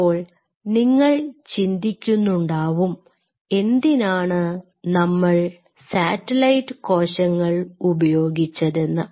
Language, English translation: Malayalam, Now, you might wonder why we needed to use the satellite cells